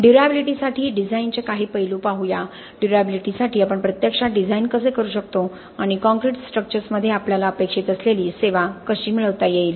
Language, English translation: Marathi, Let us look at some aspects on design for durability, how can we actually design for durability and achieve the kind of service that we expect in concrete structures